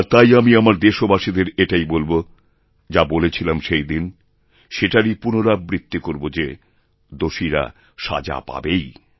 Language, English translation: Bengali, And, therefore, I will just reiterate to you, my countrymen, what I had said that very day, that the guilty will certainly be punished